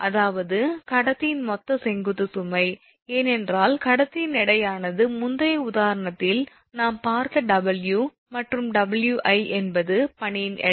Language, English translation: Tamil, That means the total vertical load on the conductor, because conductor weight is there W that we have seen for the previous example, and Wi is the weight of the ice